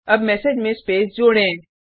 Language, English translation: Hindi, Now let us add the space to the message